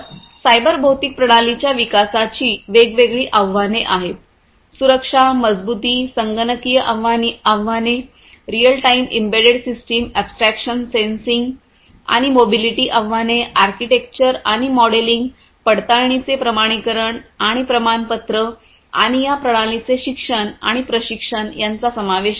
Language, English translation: Marathi, So, there are different challenges of cyber physical system development; challenges with respect to safety, security, robustness, computational challenges real time embedded system abstractions sensing and mobility challenges are there architecture and modeling verification validation and certification and including education and training of these systems